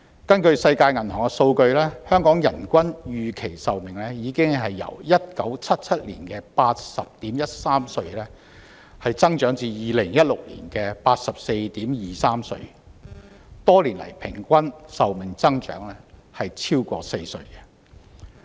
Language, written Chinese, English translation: Cantonese, 根據世界銀行的數據，香港的人均預期壽命已由1997年的 80.13 歲增長至2016年的 84.23 歲，多年來平均壽命增長超過4歲。, According to the data of the World Bank the average life expectancy of the population in Hong Kong had increased from 80.13 years to 84.23 years in 2016 and over the years people have lived more than four years longer on average